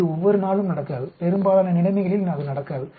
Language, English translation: Tamil, It does not happen every day, it does not happen at all in most of the situation